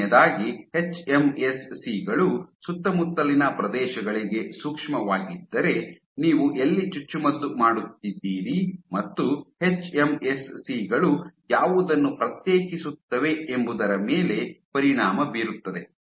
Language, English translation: Kannada, So, first of all if hMSCs are sensitive to surroundings, so then where you are injecting will have a dramatic effect on what the hMSCs differentiate into